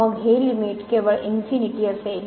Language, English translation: Marathi, Then, this limit will be just infinity